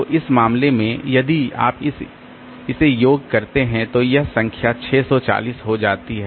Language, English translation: Hindi, So, in this case if you sum it up then this number turns out to be 640